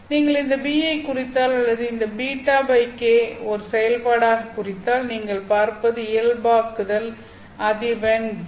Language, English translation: Tamil, You see that if you plot this fellow b or you plot this beta over k as a function of the normalized frequency v